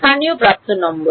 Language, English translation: Bengali, Local edge number